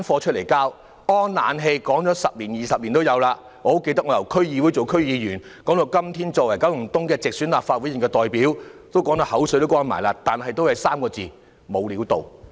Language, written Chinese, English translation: Cantonese, 安裝冷氣已經說了十多二十年，我很記得由我在區議會擔任區議員起，一直討論到今天我作為九龍東的直選立法會議員，大家說得口乾了，但最終也只有3個字，就是"無料到"。, The installation of air - conditioning systems has been on the table for almost two decades . I remember having been discussing it since I was a District Council member up till today when I am a directly elected Legislative Council Member from Kowloon East . After so much talking we can only conclude that there is nothing to write home about